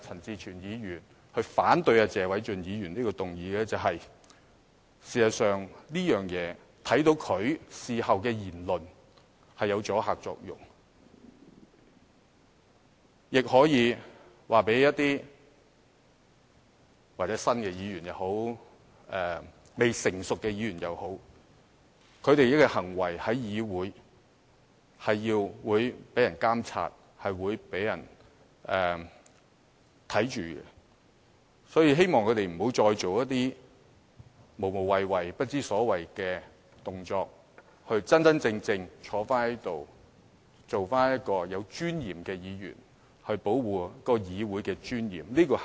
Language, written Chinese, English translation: Cantonese, 事實上，在謝議員提出這項議案後，觀乎鄭松泰議員事後的言論，此舉的確產生了阻嚇作用，亦可以告訴一些新議員，或未成熟的議員也好，他們的行為在議會內是會被監察、被審視的，所以，希望他們不要做一些無謂、不知所謂的動作，而是要真正地坐在這裏，做個有尊嚴的議員，以保護議會的尊嚴。, In fact after Mr TSE had introduced this motion if we look at Dr CHENG Chung - tais comments we will find that such a move has really achieved some deterrent effect and it can also send a message to some new Members or immature Members if you like that their behaviour in the legislature is being monitored and scrutinized so it is hoped that they will not take actions that are pointless and nonsensical . Rather they have to sit here properly and behave like a dignified Member to safeguard the dignity of the legislature